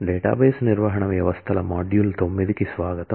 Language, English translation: Telugu, Welcome to module 9 of database management systems